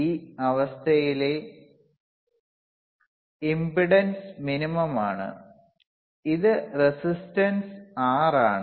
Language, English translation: Malayalam, iImpedance in this condition is minimum, which is resistance R